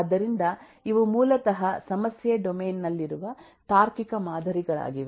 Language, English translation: Kannada, so these are basically the logical models that exist in the problem domain